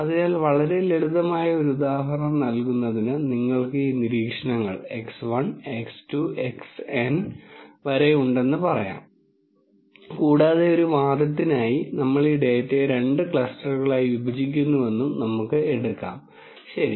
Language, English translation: Malayalam, So, to give a very simple example, let us say you have this observations x 1, x 2 all the way up to x N and just for the sake of argument let us take that we are going to partition this data into two clusters ok